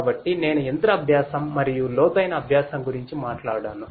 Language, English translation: Telugu, So, I talked about machine learning and deep learning